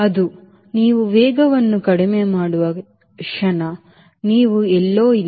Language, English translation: Kannada, the moment it is the speed you are not